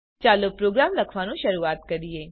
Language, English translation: Gujarati, Let us start to write a program